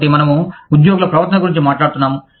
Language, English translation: Telugu, So, we are talking about, the behavior of the employees